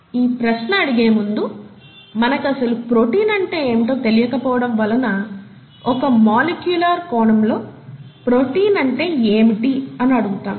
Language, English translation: Telugu, And before that, we realise we don’t really know what a protein is, and therefore we are going to ask the question, from a molecular point of view, what is a protein, okay